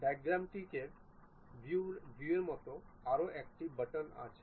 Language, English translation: Bengali, There is one more button like Dimetric views